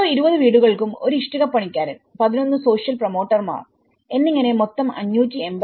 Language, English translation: Malayalam, One bricklayer for each 20 houses and 11 social promoters in total of the whole 582